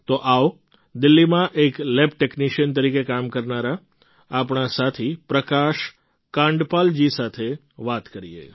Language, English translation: Gujarati, So now let's talk to our friend Prakash Kandpal ji who works as a lab technician in Delhi